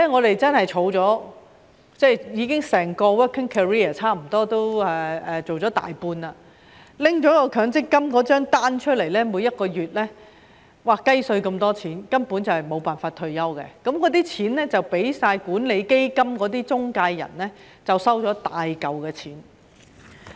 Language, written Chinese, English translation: Cantonese, 我整個 working career 已過了差不多大半，拿強積金帳單出來看，每個月只有"雞碎"那麼多錢，根本沒有辦法退休，大部分金錢都落入管理基金中介人的口袋。, I have gone through nearly more than half of my working career but whenever I look at my MPF statement I noticed that there is only a tiny amount of money every month which can hardly support my retirement life . Most of the money has gone into the pockets of the intermediaries who manage the funds